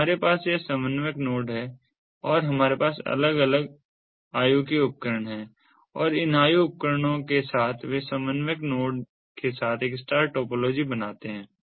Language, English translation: Hindi, furtherso, we have this controller node and we have these different age devices, and these age devices they form a star topology with the ah, the, the coordinator node